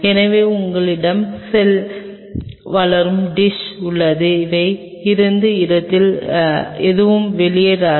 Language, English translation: Tamil, So, you have cell growing dish out here from where they are won’t be anything will spill over